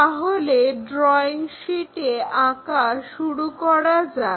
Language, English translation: Bengali, So, let us begin that on our drawing sheet